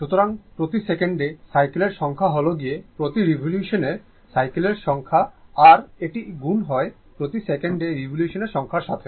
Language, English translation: Bengali, So, that is why number of cycles per second, we are writing number of cycles per revolution into this is into number of revolution per second, so right